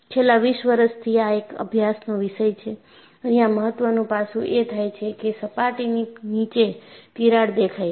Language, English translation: Gujarati, And this has been the topic of study for the last 20 years, and the important aspect here is, crack has appeared below the surface